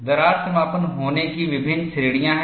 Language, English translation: Hindi, There are various categories of crack closure